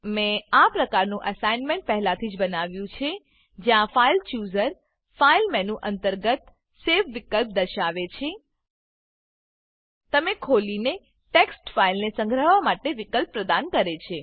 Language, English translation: Gujarati, I have already created a similar assignment, where the filechooser displays the Save option under the File menu, and gives you the option to save the text file which you open